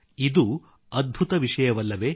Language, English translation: Kannada, Isnt' it amazing